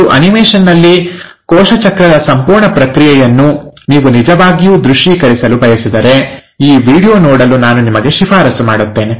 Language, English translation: Kannada, And if you really want to visualize the whole process of cell cycle in an animation, I will recommend you to go through this video